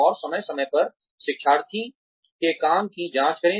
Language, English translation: Hindi, And, check the work of the learner, from time to time